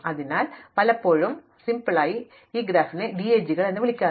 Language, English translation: Malayalam, So, very often for simplicity we will call these graphs DAGs